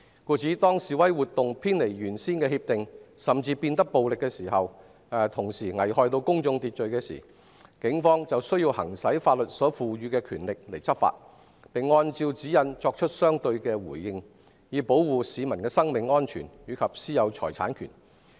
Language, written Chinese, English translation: Cantonese, 故此，當示威活動偏離原先協定，甚至變得暴力和危害公眾秩序時，警方便需要行使法律所賦予的權力執法，並按照指引作出相對的回應，以保護市民的生命安全及私有財產權。, Therefore when demonstrations deviate from the original agreement or even become violent and endanger public order the Police need to exercise the powers conferred to them to enforce the law and respond in accordance with the guidelines to protect the lives of citizens and their rights to private property